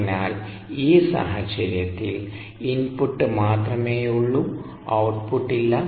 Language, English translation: Malayalam, so in this case, there is only input, there is no output